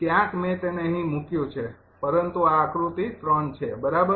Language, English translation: Gujarati, ah, i have placed it here, but this is figure three right